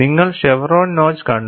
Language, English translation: Malayalam, You had seen chevron notch